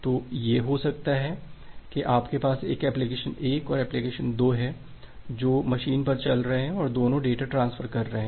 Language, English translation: Hindi, So, it is just like that, you have this application 1 and application 2 which are running on a machine and both of them are transferring data